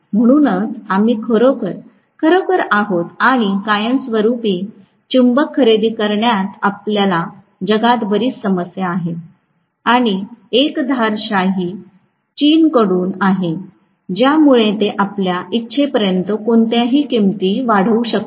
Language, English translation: Marathi, So, we are really, really, and our world is having a lot of problems with purchase of permanent magnet and a monopoly is from China because of which they can raise the price to any extent they want